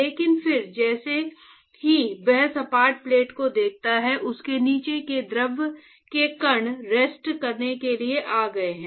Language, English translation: Hindi, But then as soon as it sees the flat plate, the fluid particles below it has come to rest